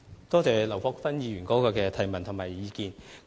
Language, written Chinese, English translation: Cantonese, 多謝劉國勳議員提出的質詢和意見。, I thank Mr LAU Kwok - fan for his question and suggestion